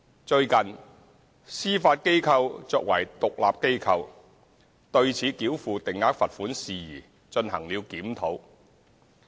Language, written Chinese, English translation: Cantonese, 最近，司法機構作為獨立機構，對此繳付定額罰款事宜進行了檢討。, The Judiciary has recently reviewed the matter in relation to fixed penalty payments in the light of its institutional independence